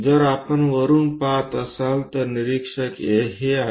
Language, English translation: Marathi, If we are looking from top, observer is this